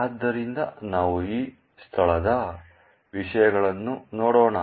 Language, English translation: Kannada, So, let us actually look at the contents of this location